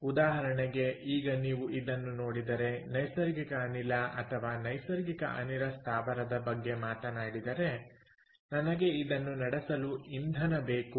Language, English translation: Kannada, so, for example, now, if you look at this, let us talk about a natural gas or a natural gas plant ok, i would need fuel